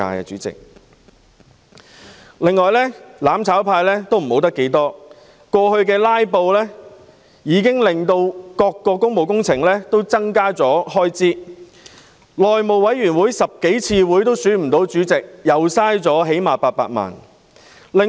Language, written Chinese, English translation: Cantonese, 此外，"攬炒派"過去"拉布"，令各項工務工程開支增加，內務委員會召開了10多次會議也無法選出主席，又最少浪費800萬元。, Furthermore owing to filibustering by the mutual destruction camp in the past the expenditures on various public works projects have increased . The House Committee still failed to elect a chairman after holding more than 10 meetings . At least 8 million have been wasted